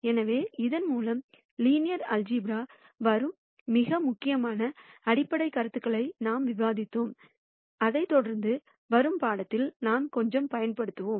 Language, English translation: Tamil, So, with this, we have described most of the important fundamental ideas from linear algebra that we will use quite a bit in the material that follows